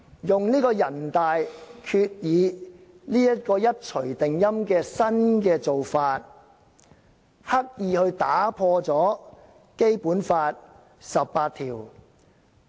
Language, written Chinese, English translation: Cantonese, 全國人民代表大會常務委員會一錘定音，作出決定，刻意打破《基本法》第十八條。, The Standing Committee of the National Peoples Congress NPCSC had given the final word and made the decision which deliberately contravened Article 18 of the Basic Law